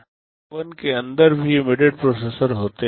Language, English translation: Hindi, There are embedded processors inside micro ovens also